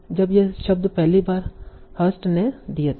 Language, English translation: Hindi, And these were first given by Hearst